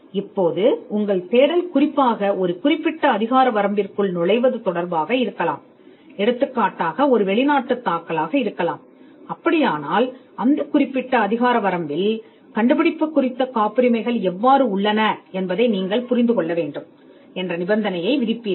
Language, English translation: Tamil, So, or if your search is particularly to enter a particular jurisdiction; say, a foreign filing then you would stipulate that you need to understand what is the patenting on this invention in a particular jurisdiction